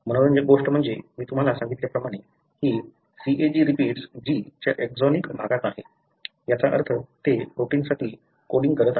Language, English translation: Marathi, What is interesting is that, as I told you, this CAG repeat is present in the exonic region of the G, meaning they are coding for a protein